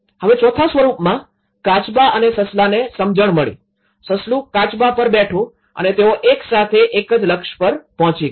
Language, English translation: Gujarati, Now, in fourth aspect tortoise and hare came to an understanding, the hare sat on the tortoise and they reached a milestone together